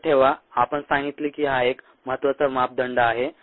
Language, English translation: Marathi, remember we said it was an important parameter